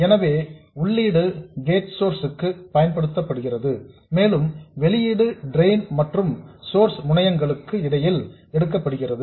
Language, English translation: Tamil, So, the input is applied to gate source and the output is taken between the drain and source terminals